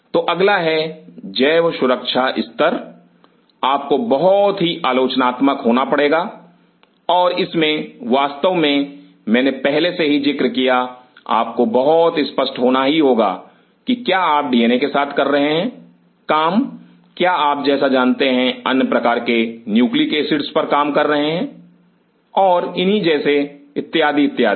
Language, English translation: Hindi, So, next is biosafety level, what you have to be very critical and in that of course, I have already mentioned you have to very clear are you working with DNA are you working with, you know other forms of nucleic acids and what is so on and so ever